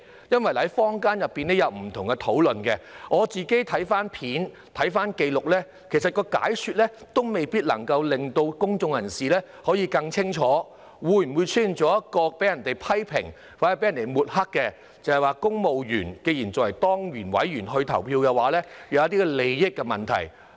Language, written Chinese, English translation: Cantonese, 因為坊間有不同的討論，我曾翻看片段和紀錄，其實當局的解說也未必能夠令公眾人士更加清楚，會否因而被人批評或抹黑，指公務員以當然委員的身份投票，會出現利益問題呢？, Since there has been a lot of discussion in the community I have looked up the footage and records . In fact the authorities explanation may not be able to give the public a clearer understanding . Will some people criticize or smear it by asserting that there will be conflict of interests for civil servants to vote as ex - officio members?